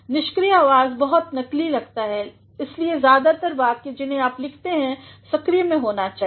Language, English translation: Hindi, Passive voices appeared to be very artificial that is why most of the sentences that you write should be in the active